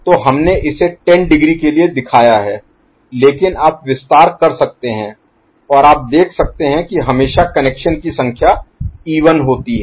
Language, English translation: Hindi, So, we have shown it up to say 10 degree, but you can extend and you see that always the number of taps are even